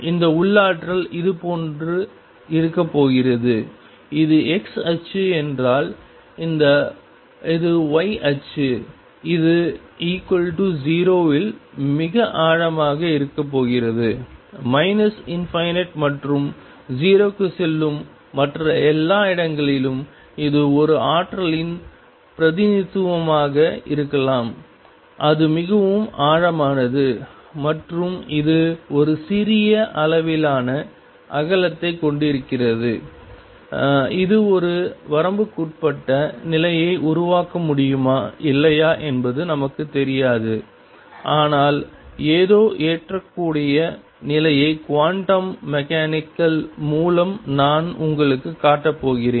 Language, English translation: Tamil, This potential is going to look like this, if this is the x axis, this is the y axis, it is going to be very deep at x equal to 0, infect going to minus infinity and 0 everywhere else this could be a representation of a potential which is very deep an and has very small width classically whether this can a ford a bound state or not we do not know, but quantum mechanically I am going to show you that this afford someone state